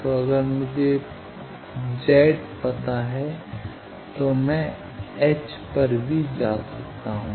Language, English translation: Hindi, So, if I know Z I can go to H also